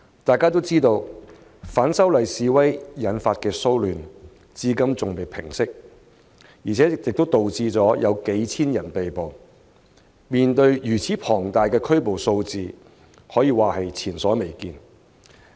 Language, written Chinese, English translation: Cantonese, 眾所周知，反修例示威引發的騷亂至今尚未平息，導致數千人被捕，如此龐大的拘捕數字，可說是前所未見。, As known to all the disturbances arising from the opposition to the proposed legislative amendment have no sign of abating and thousands of people have been arrested . It can be said that the number of arrests is unprecedented